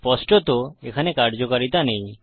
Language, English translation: Bengali, Theres obviously no functionality